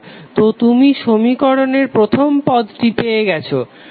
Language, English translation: Bengali, So you have got first term of the equation